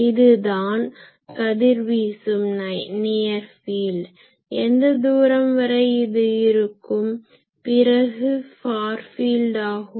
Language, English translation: Tamil, So, this is the radiating near field, we have already said that at what distance this happens and then far field